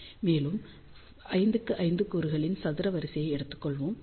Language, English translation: Tamil, And, we have taken a square array of 5 by 5 elements